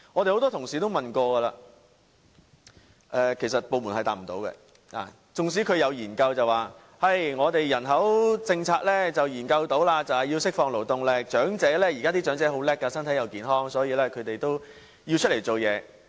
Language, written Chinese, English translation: Cantonese, 很多同事也提過質詢，但部門回答不到我們，縱使有研究說人口政策是要釋放勞動力，現在的長者很精明，身體又健康，所以他們也要出來工作。, Many Honourable colleagues have asked questions on this subject but the Administration could not give any answers . Although studies suggested that our population policy should be geared towards releasing labour force that elderly people nowadays are smart and healthy hence should join the workforce the studies were one - sided